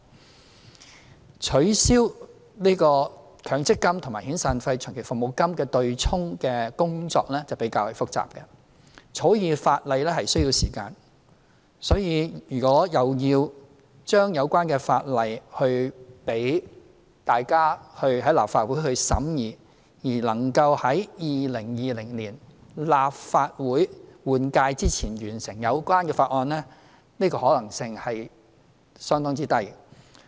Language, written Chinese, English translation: Cantonese, 至於取消強制性公積金與遣散費和長期服務金對沖的工作就比較複雜，草擬法例需要時間，所以如果要將有關法例提交立法會審議，而能夠在2020年立法會換屆前完成有關法案審議工作的話，這個可能性是相當之低。, As regards the abolition of the offsetting of severance payments and long service payments against the accrued benefits arising from employers contribution to Mandatory Provident Fund MPF the work is more complicated and the bill takes time to be drafted . Hence there is a very low chance that the bill concerned can be submitted to the Legislative Council for scrutiny and have the deliberation work finished within this term of Legislative Council by 2020